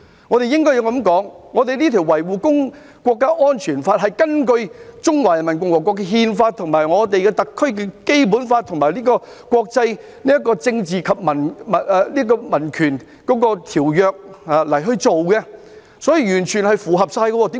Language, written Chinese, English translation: Cantonese, 我們應該這樣說：我們這項《香港國安法》是根據中華人民共和國的憲法、特區的《基本法》和有關政治和民權的國際條約而制定的，所以是完全符合規定的。, Our Hong Kong National Security Law was enacted in accordance with the Constitution of the Peoples Republic of China the Basic Law of the SAR and the relevant international covenant on political and civil rights . It is therefore in full compliance with the requirements concerned